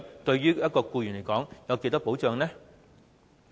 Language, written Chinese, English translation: Cantonese, 對一名僱員來說，有多少保障？, How much protection is that for an employee?